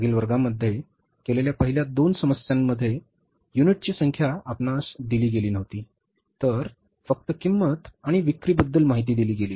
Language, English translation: Marathi, In the first two problems which we did in the previous classes, number of units were not given to us